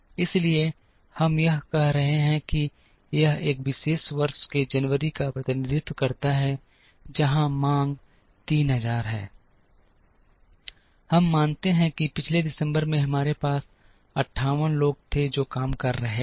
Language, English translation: Hindi, So, we are assuming that say, this represents January of a particular year where the demand is 3000, we assume that in the previous December we had 58 people who were working